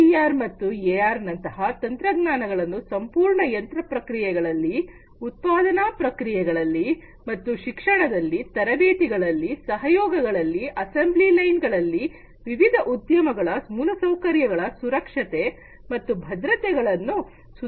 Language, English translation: Kannada, These technologies AR VR can be used to improve the overall machining processes, production processes, and so, on in education, training, collaboration, assembly line, safety security of different infrastructure in the industries